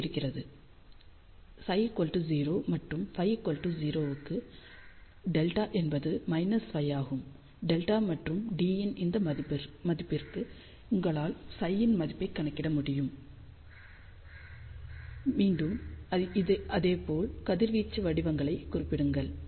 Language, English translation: Tamil, So, for psi equal to 0 and desired phi equal to 0 delta comes out to be minus pi and for this value of delta and d you can calculate the value of psi, and again do the same thing plot the radiation patterns